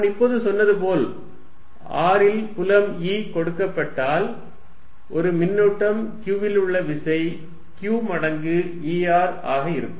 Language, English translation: Tamil, As I said is now that given any field E at r, the force on a charge q, put there is going to be q times this E r